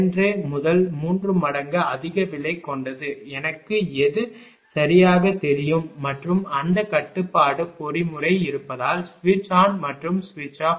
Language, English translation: Tamil, 5 to ah 3 times; whatever I know right and these because that control mechanism is there because switch on and off